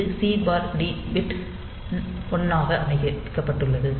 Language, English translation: Tamil, So, this is the C/T pin is set to 1